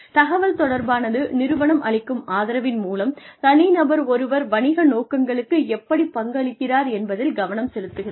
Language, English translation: Tamil, Communication, to focus on, how the individual, with the support of the organization, contributes to the aims of the business